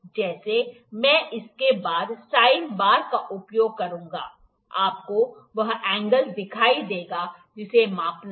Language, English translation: Hindi, Like I will use a sine bar after this, you will see the angle that has to be the measure